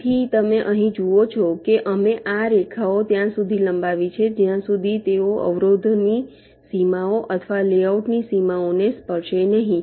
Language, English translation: Gujarati, so you see, here we have extended this lines till they either hit the boundaries of the obstructions, the obstructions, or the boundaries of the layout